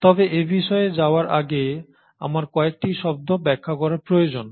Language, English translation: Bengali, But before I get to that, I need to explain you a few terms